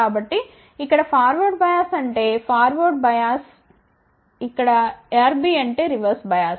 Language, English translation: Telugu, So, FB here stands for forward bias RB stands for reverse bia[s]